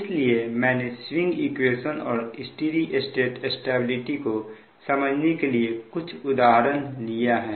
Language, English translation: Hindi, so with that we have taken few examples from the point of view of swing equation as well as steady state stability